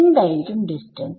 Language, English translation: Malayalam, So, what is the distance